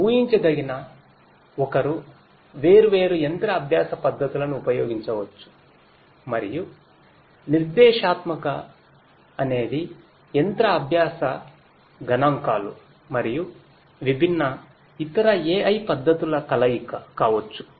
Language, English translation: Telugu, Predictive one could use different you know machine learning techniques and so on and prescriptive could be a combination of machine learning statistics and different other AI techniques